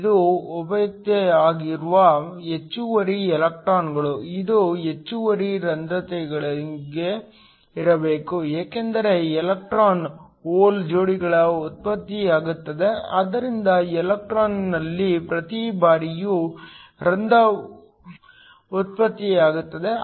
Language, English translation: Kannada, This is the excess electrons that are generated, this must be the same as the extra holes because electron hole pairs are generated so every time in a electron is generated a hole is also generated